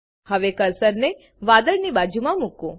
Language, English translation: Gujarati, Now place the cursor next to the cloud